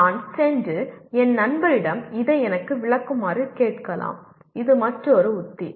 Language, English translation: Tamil, I may go and ask my friend to explain it to me or this is another strategy